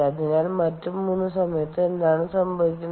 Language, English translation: Malayalam, ok, so what happens during the other three